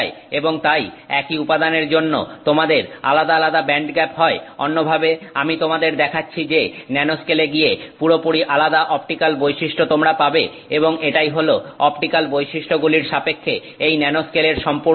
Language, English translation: Bengali, In other words you will have the material showing you a completely different optical property by going to the nanoscale and that's the whole idea of this nanoscale with respect to optical properties